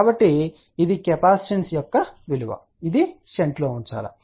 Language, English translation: Telugu, So, this is the value of the capacitance which has to be put a shunt